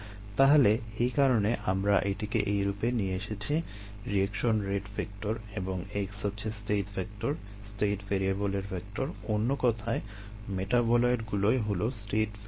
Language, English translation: Bengali, so thats the reason why we got it into this form: reaction rate vector and x is a state vector, vector of state variables [vocalized noise], in other words, metabolites of state variables